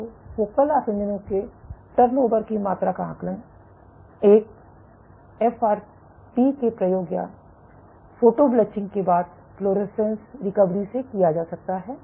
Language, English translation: Hindi, So, this amount of turnover of focal adhesions can be assessed using FRAP experiments or fluorescence recovery after photo bleaching